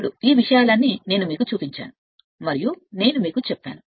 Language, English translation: Telugu, Now, so all these things I showed you and I told you right